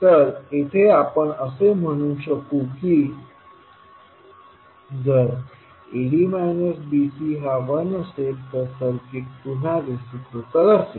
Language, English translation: Marathi, So, if AD minus BC is equal to 1, we will say that the circuit is reciprocal